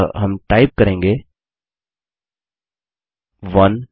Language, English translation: Hindi, So we will type 1